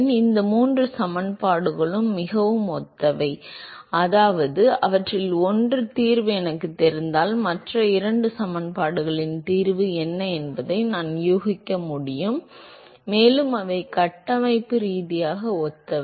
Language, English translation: Tamil, So, these three equations are very similar, which means that if I know the solution of one of them I should be able to guess what the solution of the other two equations are, plus they are structurally similar